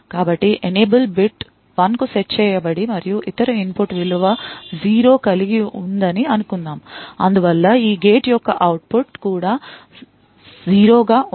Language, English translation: Telugu, So, let us say that the enable bit is set to 1 and let us assume that the other input has a value 0 and therefore the output of this and gate would also, be 0